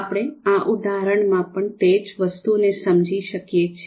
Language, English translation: Gujarati, So the same thing we can understand in this example as well